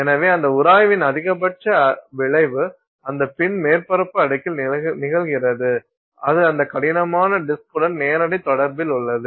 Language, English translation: Tamil, So, the maximum effect of that friction happens on the surface layer of that pin which is in direct contact with that rough disk and there multiple things are happening